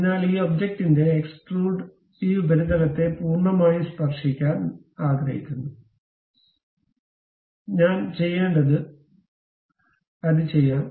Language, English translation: Malayalam, So, I would like to have a extrude of this object entirely touching this surface; to do that what I have to do